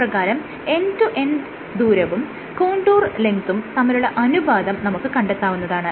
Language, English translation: Malayalam, You can find out this ratio of end to end distance by contour length